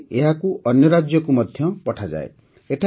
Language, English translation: Odia, After this it is also sent to other states